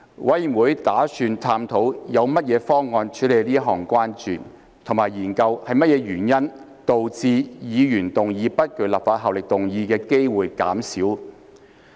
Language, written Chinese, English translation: Cantonese, 委員會打算探討有何方案處理此項關注，以及研究是甚麼原因導致議員動議不具立法效力議案的機會減少。, 382 has the effect of jumping the queue . The Committee intends to explore options to address this concern and examine the causes of the reduced opportunities for the moving of motions with no legislative effect